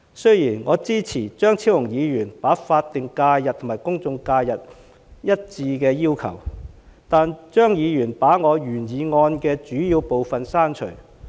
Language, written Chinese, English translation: Cantonese, 雖然我支持張超雄議員把法定假日和公眾假期劃一的要求，但張議員把我原議案的主要部分刪除。, Although I support Dr Fernando CHEUNGs proposal to align statutory holidays with general holidays he has removed a major part of my original motion